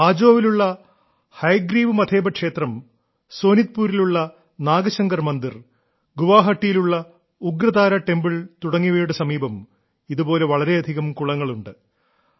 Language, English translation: Malayalam, The Hayagriva Madheb Temple at Hajo, the Nagashankar Temple at Sonitpur and the Ugratara Temple at Guwahati have many such ponds nearby